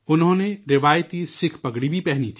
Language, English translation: Urdu, He also wore the traditional Sikh turban